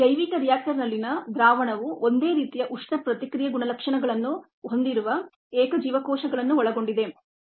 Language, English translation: Kannada, the solution in the bioreactor consists of single cells with similar thermal response characteristics